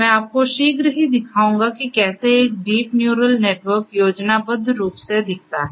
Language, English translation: Hindi, I will show you how a deep neural network looks like schematically, shortly